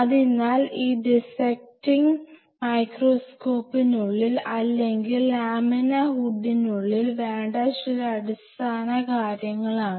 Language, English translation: Malayalam, So, these are some of the basic things, what you prefer to have inside the dissecting microscope or dissecting laminar hood